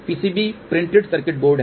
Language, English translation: Hindi, PCB is printed circuit board